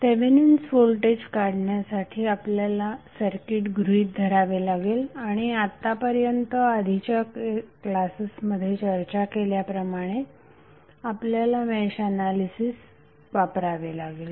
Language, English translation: Marathi, To find the value of Thevenin voltage we have to consider the circuit and whatever we discussed in previous classes we have to just recollect our study specially the mesh analysis which we discussed